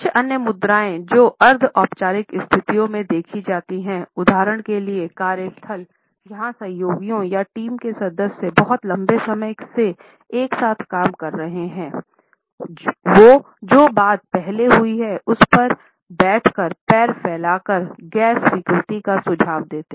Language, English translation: Hindi, Certain other postures which are seen in the semi formal situations; for example in the workplace where the colleagues or team members have been working for a very long time together; they spread and stretched out legs while sitting suggest the non acceptance as a response to something which is happened earlier